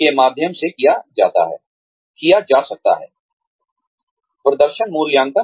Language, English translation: Hindi, Could be through, performance appraisals